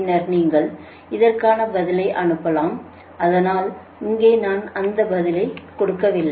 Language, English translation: Tamil, you send your answer to me, right, but here i am not giving that answer right